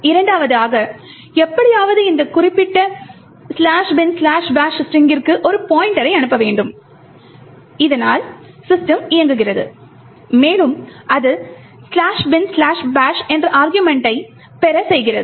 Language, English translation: Tamil, Secondly, somehow, we should be able to pass a pointer to this particular string slash bin slash bash so that system executes, and it is able to obtain an argument which is slash bin slash bash